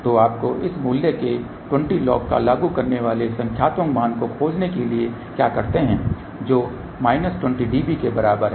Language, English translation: Hindi, So, what you have to do to find the numeric value you apply to this 20 log of this value which is equal to minus 20 db ok